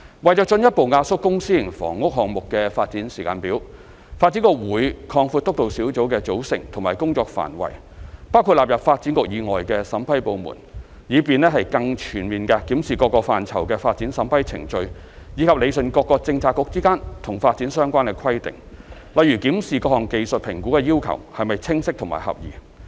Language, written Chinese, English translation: Cantonese, 為進一步壓縮公、私營房屋項目的發展時間表，發展局會擴闊督導小組的組成和工作範圍，包括納入發展局以外的審批部門，以便更全面地檢視各個範疇的發展審批程序；以及理順各個政策局之間與發展相關的規定，例如檢視各項技術評估的要求是否清晰和合宜。, To further compress the development schedule of both public and private housing projects DEVB will expand the composition and remit of the Steering Group to include vetting departments other than those under DEVB with a view to reviewing more comprehensively the development approval processes in various aspects and rationalizing the development - related requirements imposed by different bureaux such as reviewing whether the technical assessment requirements are clear and suitable